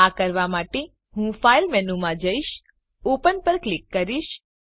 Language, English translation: Gujarati, To do this, I will go to the File menu, click on Open